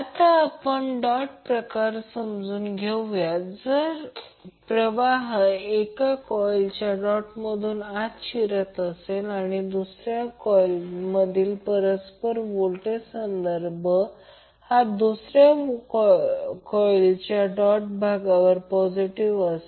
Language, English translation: Marathi, Now let us understand the dot convention first if a current enters the doted terminal of one coil the reference polarity of the mutual voltage in the second coil is positive at the doted terminal of the second coil